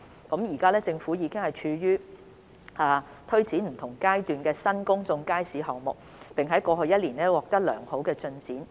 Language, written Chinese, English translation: Cantonese, 政府現正推展7個處於不同階段的新公眾街市項目，並在過去1年取得良好進展。, The Government is taking forward seven new public market projects which are at different stages of planning and has achieved satisfactory progress in the past year